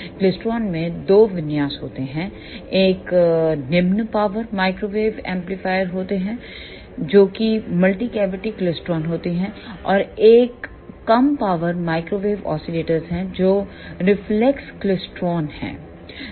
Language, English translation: Hindi, In klystron, there are two configurations one is low power microwave amplifier which is multi cavity klystron; and another one is low power microwave oscillator which is reflex klystron